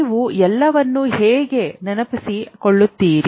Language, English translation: Kannada, How will you recall all things